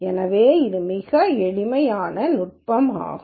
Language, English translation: Tamil, So, this is a very very simple technique